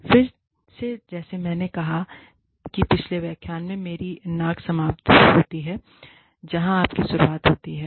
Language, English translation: Hindi, Again, like i said, in the previous lecture, my nose ends, where yours begins